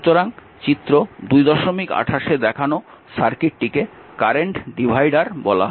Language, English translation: Bengali, So, circuit shown in figure 28 is called the current divider